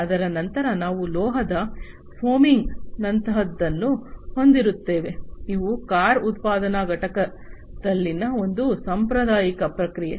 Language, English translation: Kannada, Then thereafter, we will have something like metal foaming, these are this is a typical traditional process in a car manufacturing plant